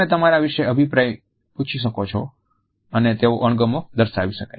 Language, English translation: Gujarati, You could ask your opinion about someone and they might show disgust